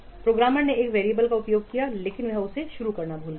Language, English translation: Hindi, The programmer has used a variable, but he has forgotten to initialize it